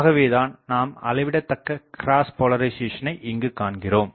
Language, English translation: Tamil, So, sizable cross polarisation also takes place